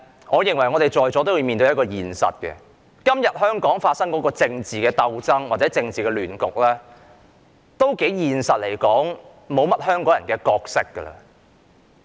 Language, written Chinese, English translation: Cantonese, 我認為在座各位都要面對一個現實，就是在今天香港發生的政治鬥爭或政治亂局中，香港人已經沒有角色。, I think Members present at the meeting have to face a reality and that is the people of Hong Kong already have no role to play in the political struggle or chaos that takes place in Hong Kong today